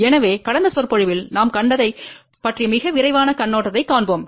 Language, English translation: Tamil, So, let us have a very quick overview of what we had seen in the last lecture